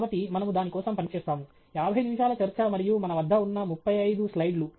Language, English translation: Telugu, So, that is what we will work towards fifty minute talk and thirty five slides we have